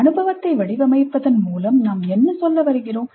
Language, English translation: Tamil, What we mean by framing the experience